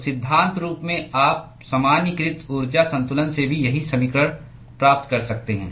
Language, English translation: Hindi, So, in principle, you could derive the same equation from the generalized energy balance also